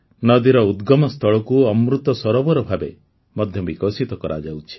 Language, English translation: Odia, The point of origin of the river, the headwater is also being developed as an Amrit Sarovar